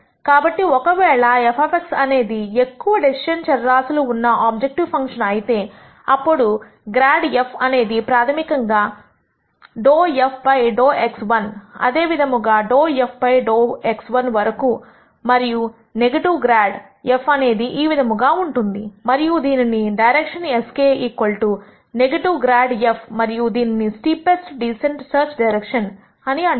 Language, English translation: Telugu, So, if f of x is an objective function of the form with this many decision variables then grad f is basically dou f dou x 1 all the way up to dou f dou x 1 and negative grad f would be this, and we keep this as the search direction s k equal to negative grad f and this is called the steepest descent search direction